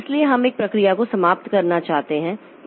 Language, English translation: Hindi, So, we may want to end a process or abort a process